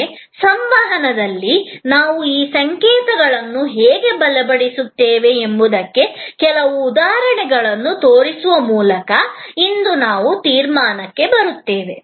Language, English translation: Kannada, But, today I will be conclude by showing you some examples that how in the communication we continue to reinforce these signals